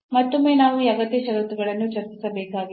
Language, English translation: Kannada, And again then we have to discuss these necessary conditions